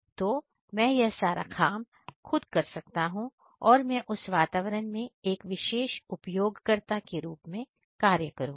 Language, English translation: Hindi, So, I can do by myself and I will act as a particular user inside that environment